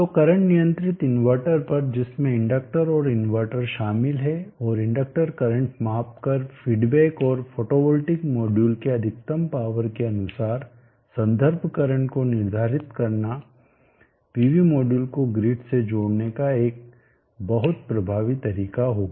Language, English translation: Hindi, So at current controlled inverter comprising of the inductor and the inverter and the feedback given by measuring the inductor current back and setting the reference current according to the peak power of the photo hold tike module would be a very effective way of connecting the pv modules to the grid